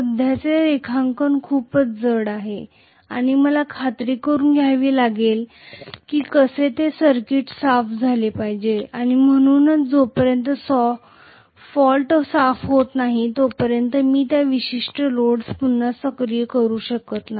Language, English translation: Marathi, The current drawn is heavy and I have to make sure that somehow the circuit is cleared, so unless the fault is cleared I cannot activate again that particular load